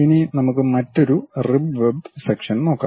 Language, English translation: Malayalam, Now, let us look at another rib and web section